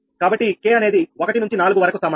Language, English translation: Telugu, so plus in k is equal to four